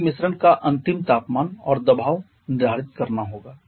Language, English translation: Hindi, We have to determine the final temperature and pressure of the mixture